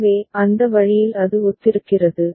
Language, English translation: Tamil, So, that way it is similar